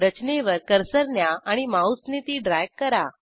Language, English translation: Marathi, Place the cursor on the structure and drag it with the mouse